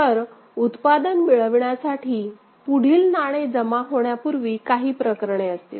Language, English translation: Marathi, So, there will be cases before the next coin is deposited to get the product